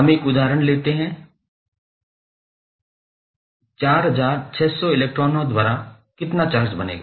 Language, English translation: Hindi, Let us take one example, how much charge is represented by 4600 electrons